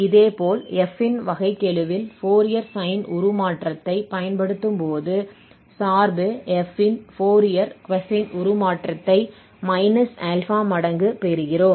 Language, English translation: Tamil, So similarly, for Fourier sine transform when we apply on derivative of f, then we get minus alpha times the Fourier cosine transform of the function f